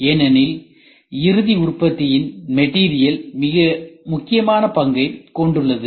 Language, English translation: Tamil, Because material place a very important role in the final product ok